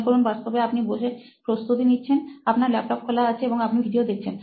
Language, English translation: Bengali, Imagine for the time being that you are actually seating and preparing, you have your laptop open and you are watching videos